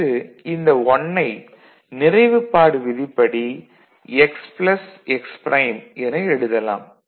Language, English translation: Tamil, Then this 1 can be written as x plus x prime